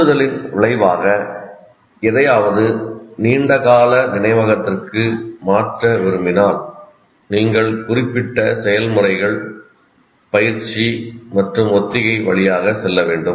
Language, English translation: Tamil, So if you want to transfer something as a result of stimulus something into the long term memory, you have to go through certain processes as we said practice and rehearsal